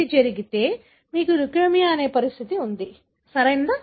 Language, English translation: Telugu, If it happens, then you would have the condition called leukemia, right